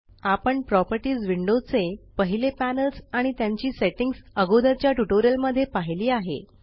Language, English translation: Marathi, We have already seen the first few panels of the Properties window and their settings in the previous tutorial